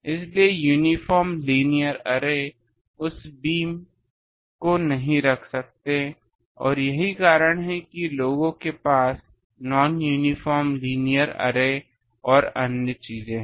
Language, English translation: Hindi, So, uniform linear array cannot put that beam and that is why people have non uniform arrays and another things